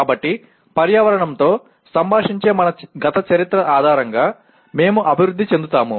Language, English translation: Telugu, So we develop based on our past history of interacting with environment